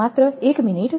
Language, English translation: Gujarati, Just one minute